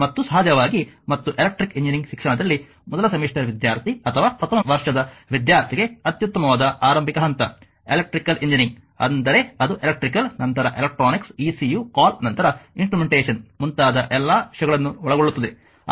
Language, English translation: Kannada, So, therefore, the basic electric circuit theory course is your important course for an electrical engineering student and of course, and excellent starting point for a first semester student or first year student in electrical engineering education, electrical engineering means it covers all the things like electrical, then your electronics ecu call then your instrumentation